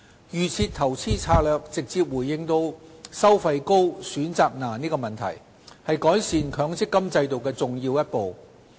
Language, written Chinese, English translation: Cantonese, "預設投資策略"直接回應"收費高、選擇難"的問題，是改善強積金制度的重要一步。, DIS directly addresses the problems of high fees and difficulty in making investment choices and it is a significant step towards enhancing the MPF System